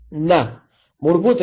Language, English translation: Gujarati, No, basically no